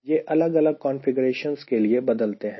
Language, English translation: Hindi, they vary for different type of configurations